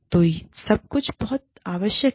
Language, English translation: Hindi, So, all of this is, very, very, essential here